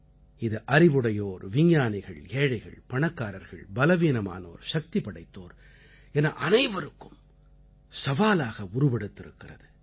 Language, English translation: Tamil, It is posing a challenge to Knowledge, science, the rich and the poor, the strong and the weak alike